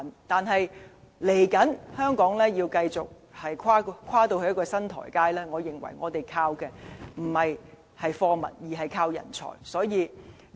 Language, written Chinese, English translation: Cantonese, 但是，接下來，香港要跨到新台階，我們要依靠的，不應是貨物，而是人才。, However we are now progressing to the next stage and I believe that we should no longer rely on exportation of goods but our human resources